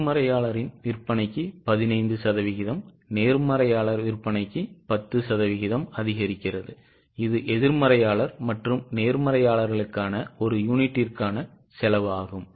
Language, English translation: Tamil, For optimist sale increases by 15% for pessimist sale increases by 10% and this is the cost per unit for optimist and pessimistic